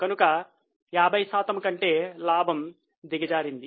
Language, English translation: Telugu, So, more than 50% fall in the profit